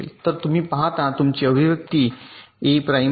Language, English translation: Marathi, so you see, your expression is a prime